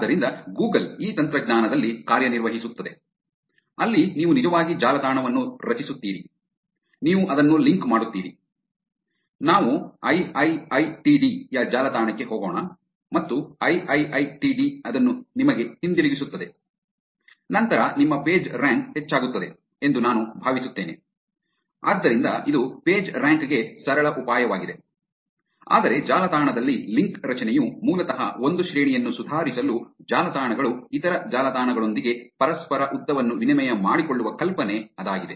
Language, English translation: Kannada, So, Google works on this technology, where you actually have; you create a website, you link it to, let us take to IIITD’s website and IIITD links it back to you, then I think your Pagerank increases heavily, so that is simple idea for Pagerank, but link forming in on the web is basically an idea where websites exchange reciprocal lengths with other sites to improve the rank